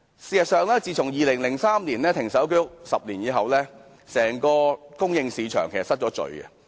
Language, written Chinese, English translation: Cantonese, 事實上 ，2003 年停售居屋後的10年間，整個供應市場失衡。, As a matter of fact in the 10 years after the moratorium on the sale of HOS flats in 2003 the whole supply market has lost its imbalance